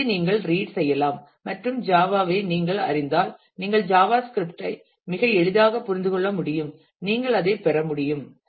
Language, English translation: Tamil, So, you can read through and you will be able to if you know Java you will be able to understand Java script very easily, you could get through that